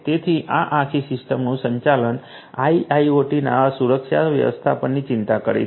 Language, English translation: Gujarati, So, the management of this whole system is what concerns the security management of IIoT